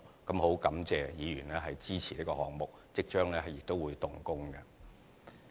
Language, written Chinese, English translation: Cantonese, 我很感謝議員支持這項目，有關工程亦即將會動工。, I am grateful for Members support of this project and the works concerned will commence very soon